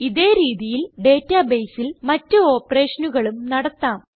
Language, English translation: Malayalam, In a similar manner, we can perform other operations in the database too